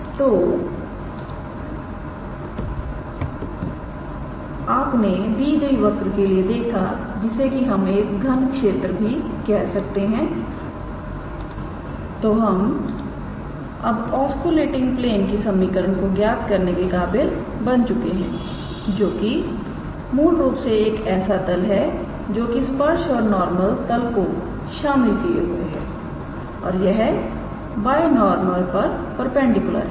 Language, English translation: Hindi, So, you see for this given curve which is also called as to state to a state cube we were able to obtain the equation of the osculating plane which is basically osculating plane is basically a plane containing tangent and principal normal and it is perpendicular to the binormal